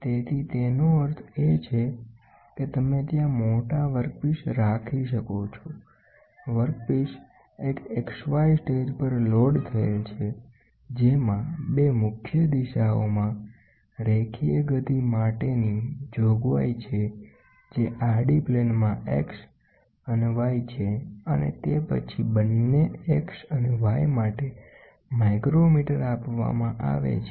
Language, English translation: Gujarati, So, Z so; that means, to say you can keep a large workpieces there, the workpiece is loaded on an XY stage, which has a provision for translatory motion in 2 principal directions in the horizontal plane that is X and Y and then it the micrometres are provided for both X and Y